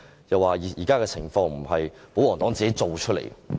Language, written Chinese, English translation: Cantonese, 又說現時的情況並非保皇黨造出來的。, In his words the present - day situations are not caused by the pro - Government camp